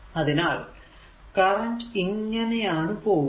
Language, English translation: Malayalam, so, current is going like this